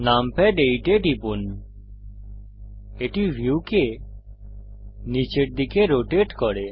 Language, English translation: Bengali, Press numpad 8 the view rotates downwards